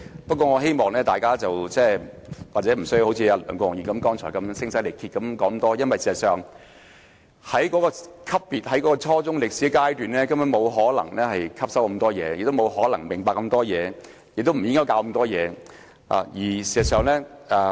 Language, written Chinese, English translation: Cantonese, 不過，大家亦無須像梁國雄議員剛才那樣聲嘶力竭，因為學生在初中階段，根本不可能對中史科吸收太多，亦不可能明白太多，學校亦不應教授太多。, However there is no need to shout oneself hoarse like what Mr LEUNG Kwok - hung did just now . As our targets are junior secondary students they cannot possibly learn too much about Chinese history and cannot have a comprehensive understanding hence schools should not teach too much